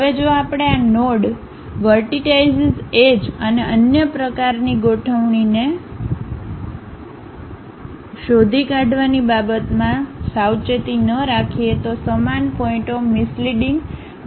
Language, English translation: Gujarati, Now, if we are not careful in terms of tracking these nodes, vertices, edges and other kind of configuration, the same points may give us a misleading information also